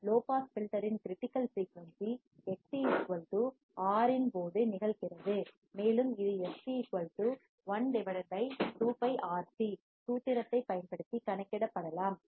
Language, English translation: Tamil, The critical frequency of a low pass filter occurs when Xc = R, and can be calculated using the formula fc= 1/(2ΠRC)